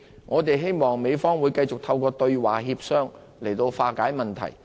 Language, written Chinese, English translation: Cantonese, 我們希望美方會繼續透過對話協商來化解問題。, We hope the American Government will continue to resolve the issue through dialogue and negotiation